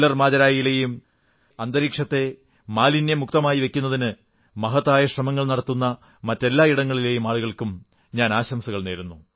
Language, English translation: Malayalam, Congratulations to the people of KallarMajra and of all those places who are making their best efforts to keep the environment clean and pollution free